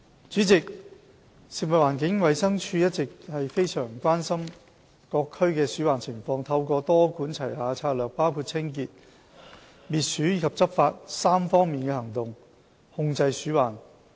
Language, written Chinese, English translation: Cantonese, 主席，食物環境衞生署一向十分關心各區的鼠患情況，透過多管齊下的策略，包括清潔、滅鼠及執法3方面的行動，防治鼠患。, President the Food and Environmental Hygiene Department FEHD is very concerned about rodent infestation in individual districts and has been adopting a multi - pronged approach including cleansing rodent elimination and enforcement in the prevention and control of rodents